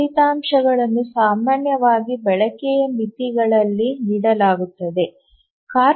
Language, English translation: Kannada, Those results are typically given as utilization bounds